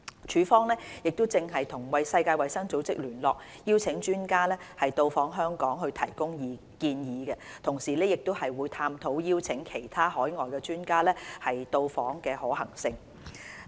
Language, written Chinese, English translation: Cantonese, 署方正與世衞聯絡，邀請專家到訪香港及提供建議，同時亦探討邀請其他海外專家到訪的可行性。, FEHD is inviting WHO experts to visit Hong Kong and give us advice in this respect while exploring the possibilities of inviting other overseas experts to Hong Kong